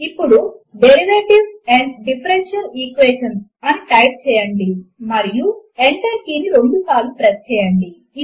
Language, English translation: Telugu, Now type Derivatives and Differential Equations: and press the Enter key twice